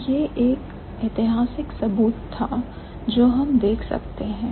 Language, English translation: Hindi, So, that's one evidence, historical evidence that we might have